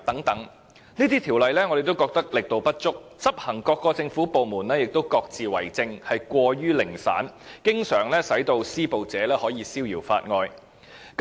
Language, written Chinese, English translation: Cantonese, 我們認為這些法例的力度不足，而執行的政府部門亦各自為政，過於零散，經常令施暴者可以逍遙法外。, We consider that these ordinances are not sufficiently effective and government departments enforcing the law take piecemeal actions without any coordination . As a result the perpetrators often go scot - free